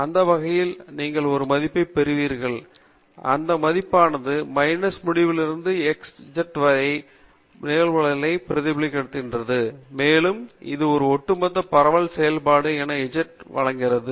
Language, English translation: Tamil, Any way, you will get a value and that value is representing the cumulative probabilities from minus infinity to z and that is given as the cumulative distribution function